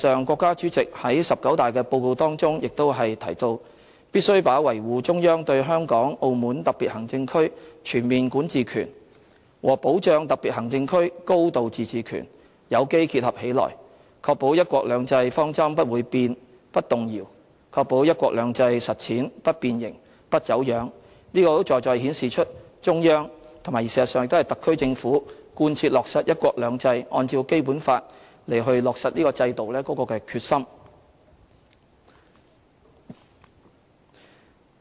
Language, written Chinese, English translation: Cantonese, 國家主席在"十九大"的報告當中亦提到："必須把維護中央對香港、澳門特別行政區全面管治權和保障特別行政區高度自治權有機結合起來，確保'一國兩制'方針不會變、不動搖，確保'一國兩制'實踐不變形、不走樣"，這實在顯示出中央和特區政府貫切落實"一國兩制"，按照《基本法》落實制度的決心。, The President of the State stated in his report delivered at the 19 National Congress of the Communist Party of China that [we] must organically combine the upholding of the Central Authorities overall jurisdiction over the Hong Kong and Macao special administrative regions with the safeguarding of a high degree of autonomy of these special administrative regions so as to ensure that the principle of one country two systems remains unchanged and unshaken and that the practice of the one country two systems policy remains intact and undistorted . This has indeed reflected the determination of the Central Authorities and the SAR Government in implementing the principle of one country two systems and putting into practice the system stipulated under the Basic Law